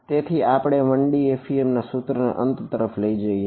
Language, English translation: Gujarati, So, that brings us to an end of the 1D FEM equation